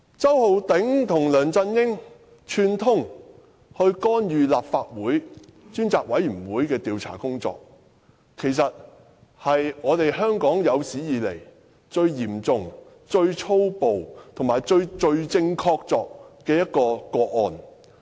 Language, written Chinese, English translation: Cantonese, 周浩鼎議員和梁振英串通干預立法會專責委員會的調查工作，其實是香港有史以來最嚴重、最粗暴和最罪證確鑿的個案。, As a matter of fact this incident involving Mr Holden CHOW colluding with LEUNG Chun - ying to interfere with the inquiry of the Select Committee of the Legislative Council is the most serious callous and conclusive of its kind in Hong Kong